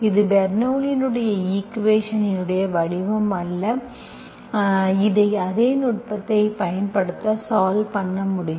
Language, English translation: Tamil, this is not exactly the form of Bernoulli s equation that we can solve the same, apply the same technique